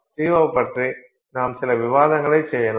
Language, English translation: Tamil, So, C0, and then with respect to that we can do some discussion